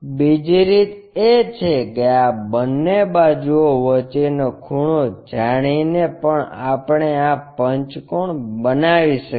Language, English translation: Gujarati, The other way is by knowing the angle between these two sides also we can construct this pentagon